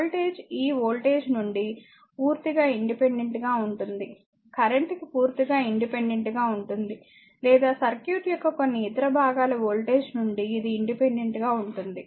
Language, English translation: Telugu, The voltage is completely independent of this voltage is completely independent of the current right or it is independent of the voltage of some other parts of the circuit right